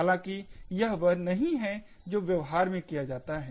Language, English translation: Hindi, However, this is not what is done in practice